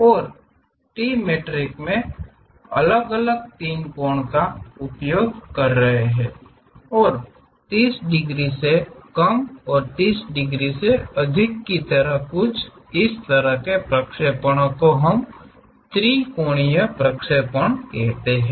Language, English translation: Hindi, And, in trimetric we will have different three angles and something like less than 30 degrees and more than 30 degrees, such kind of projections we call trimetric projections